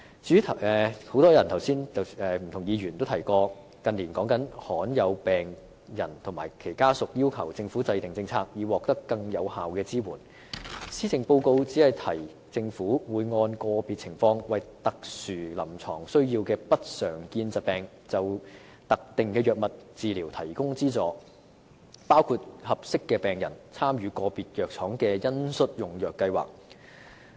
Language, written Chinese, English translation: Cantonese, 至於很多議員剛才也提到，以及香港近年經常討論的另一範疇，便是罕見疾病病人及其家屬要求政府制訂政策，以期獲得更有效的支援。施政報告只說政府會按個別情況，為有特殊臨床需要的不常見疾病病人就特定藥物治療提供資助，包括讓合適的病人參與個別藥廠的恩恤用藥計劃。, As for another issue mentioned by many Members earlier and often discussed in Hong Kong in recent years that is patients of rare diseases and their families calling on the Government to formulate policies in the hope of obtaining more effective support the Policy Address has only said that the Government will provide patients with subsidies for specific drug treatments according to special clinical needs of patients of rare diseases and eligible patients will be subsidized to participate in compassionate programmes of individual pharmaceutical companies